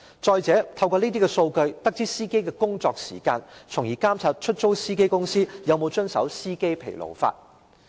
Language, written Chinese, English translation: Cantonese, 再者，當局可透過這些數據得知司機的工作時間，從而監察出租汽車公司有否遵守疲勞駕駛的相關法例。, Furthermore the authorities could learn from such data the drivers working hours thereby monitoring whether the hire car companies had complied with the legislation on fatigue driving